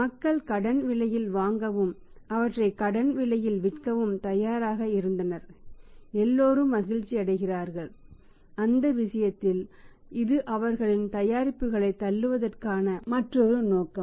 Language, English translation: Tamil, People were ready to buy on credit price and sell them at credit price and everybody is happy in that case that is another motive for pushing their products